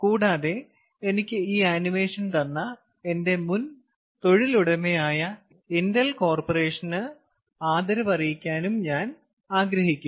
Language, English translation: Malayalam, ok, and i also want to acknowledge, ah, my previous employer, intel corporation, from where i have got this animation